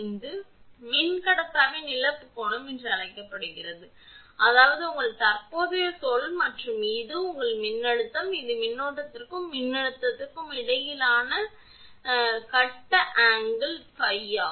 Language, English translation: Tamil, The angle delta is termed as loss angle of dielectric; that means this is your current say and this is your voltage and this is that phase angle between current and voltage is phi